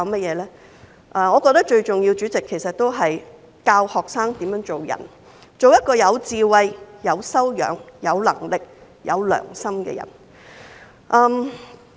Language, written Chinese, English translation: Cantonese, 主席，我覺得最重要是教導學生怎樣做人，做一個有智慧、有修養、有能力、有良心的人。, President in my view it is most important to teach students how to behave as wise educated capable and conscientious people